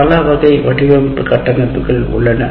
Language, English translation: Tamil, And there are several instruction design frameworks